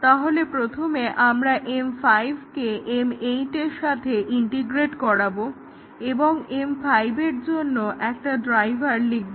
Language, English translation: Bengali, So, first we integrate M 5 with M 8, and we write a driver for M 5, because M 8 is being called by M 5, but who would call M 5